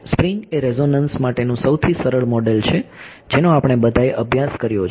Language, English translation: Gujarati, Spring models resonances a spring is the most simplest model for a resonance we have all studied this for